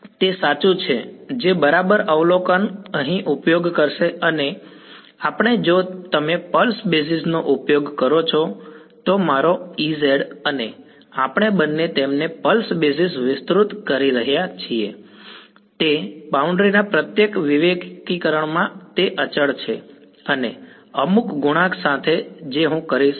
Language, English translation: Gujarati, Exactly yeah that is a good that is exactly the observation will use here we if you use a pulse basis then my E z and H tan we are both expanding them on a pulse basis in each discretization of the boundary it is constant and with some coefficient which I will determine and zero everywhere else that is the basis right